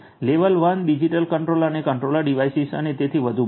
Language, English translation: Gujarati, Level 1 is going to be the digital controller and the controller devices and so on